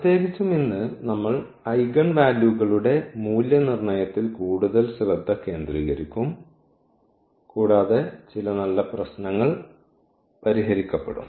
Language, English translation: Malayalam, In particular today we will focus more on evaluation of the eigenvalues and some good worked out problems will be discussed